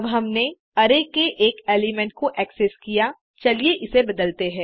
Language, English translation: Hindi, Now, that we have accessed one element of the array,let us change it